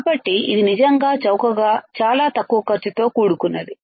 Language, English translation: Telugu, So, it is really cheap very cheap low cost right